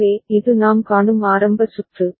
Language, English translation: Tamil, So, this is the initial circuit that we see